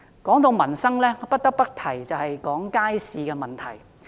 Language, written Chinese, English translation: Cantonese, 談到民生，不得不提街市的問題。, When it comes to livelihood issues I must talk about public markets